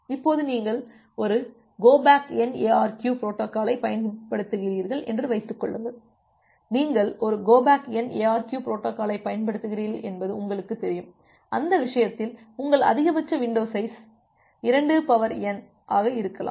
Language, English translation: Tamil, Now assume that you are using a go back N ARQ protocol, if you are using a go back N ARQ protocol and you know that in that case, your maximum window size can be 2 to the power n minus 1